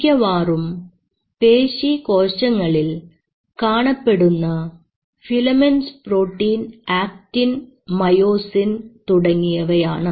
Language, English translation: Malayalam, And those filament mostly are actin and filament, actin and myosin